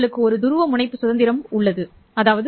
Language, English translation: Tamil, You have polarization degree of freedom